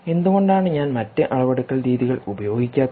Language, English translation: Malayalam, why am i not using other methods of measurement